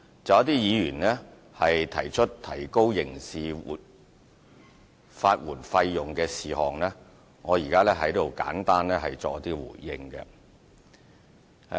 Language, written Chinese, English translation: Cantonese, 就一些議員提出提高刑事法援費用，我現在作簡單的回應。, Regarding some Members who have called for the increase of criminal legal aid fees I am now giving a brief response